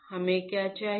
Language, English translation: Hindi, What we require